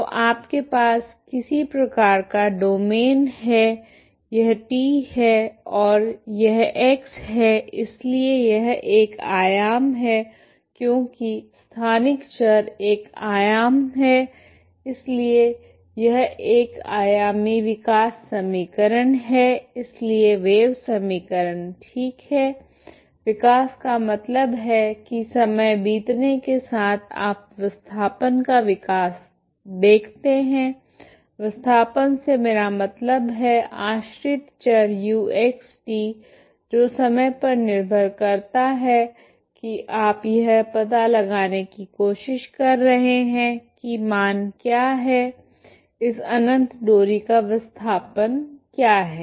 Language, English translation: Hindi, So you have some kind of domain is this is T and this is X so this is one dimension because the spatial variable is one dimension so this is the one dimensional evolution equation so wave equation ok, evolution means as the time goes you see the evolution of the displacement of, displacement I mean the dependent variable U of X T ok that depends on the time as time goes you are trying to find what is the value ok, what is the displacement of this infinite string